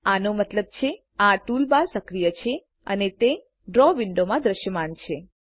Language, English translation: Gujarati, This means the toolbar is enabled and is visible in the Draw window